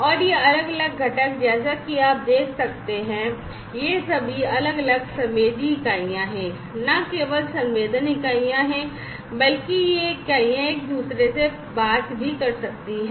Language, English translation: Hindi, And these different components as you can see these are all these have different sensing units in them and not only sensing units, but these units they can also talk to each other